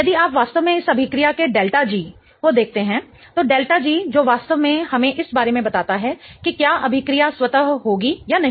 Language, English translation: Hindi, If you really look at the delta G of this reaction, delta G which really tells us about whether the reaction is going to be spontaneous or not